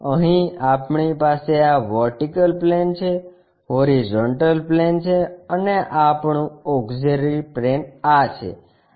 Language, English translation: Gujarati, Here, we have this is vertical plane, horizontal plane and our auxiliary plane is this